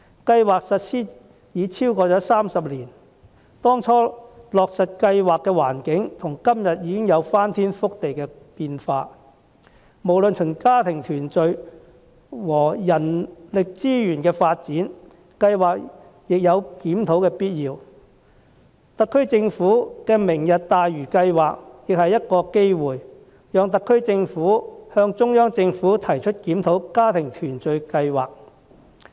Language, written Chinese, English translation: Cantonese, 計劃實施已超過30年，當初落實計劃的環境到今天已有翻天覆地的變化，無論從家庭團聚或人力資源發展的角度來看，計劃也有檢討的必要，特區政府的"明日大嶼"計劃亦提供機會，讓特區政府向中央政府提出檢討家庭團聚計劃。, There have been sea changes in the circumstances under which the scheme was introduced more than three decades ago necessitating a review both from the family reunion and the human resources development perspectives . The Governments Lantau Tomorrow provides a chance for the Special Administrative Region SAR Government to raise with the Central Government the need to review this family reunion scheme